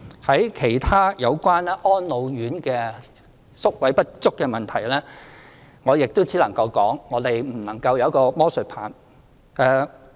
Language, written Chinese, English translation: Cantonese, 就其他有關安老院宿位不足的問題，我亦只能說，我們沒有魔術棒。, As regards the issue about inadequate places in the homes for the elderly I can only say that we do not have a magic wand